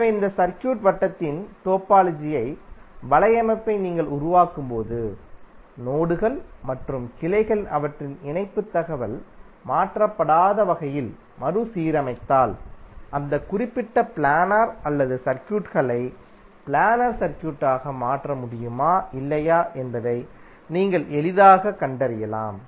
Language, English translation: Tamil, So when you create the topological network of this circuit and if you rearrange the nodes and branches in such a way that their connectivity information is not changed then you can easily find out whether that particular non planar circuit can be converted into planar circuit or not